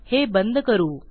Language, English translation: Marathi, Lets close this off